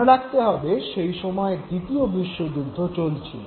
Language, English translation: Bengali, Remember that was the time when World War II was in progress